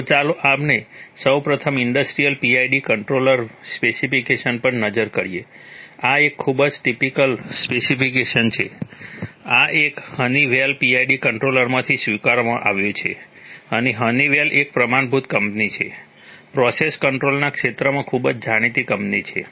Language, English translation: Gujarati, So, let us first look at an industrial PID controller specification, this is a very typical specification, this one is adapted from a Honeywell PID controller which is very, very and honeywell is a standard company, very well known company in the field of process control